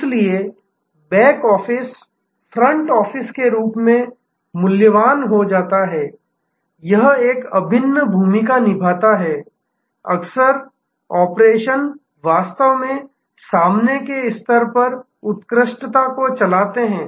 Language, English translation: Hindi, So, back office becomes as valued as the front office, it plays an integral role often operations actually drive the excellence at the front level